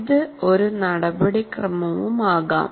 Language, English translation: Malayalam, Or it could be a procedure